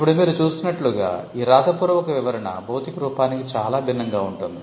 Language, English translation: Telugu, Now, the description as you just saw, the written description is much different from the physical embodiment itself